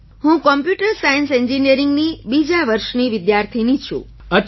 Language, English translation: Gujarati, I am a second year student of Computer Science Engineering